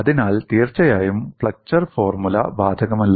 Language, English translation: Malayalam, So, definitely, the flexure formula is not applicable